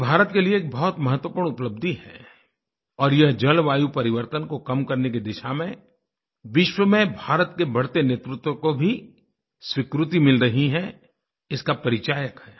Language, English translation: Hindi, This is a very important achievement for India and it is also an acknowledgement as well as recognition of India's growing leadership in the direction of tackling climate change